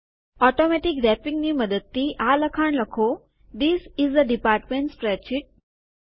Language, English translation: Gujarati, Using Automatic Wrapping type the text, This is a Department Spreadsheet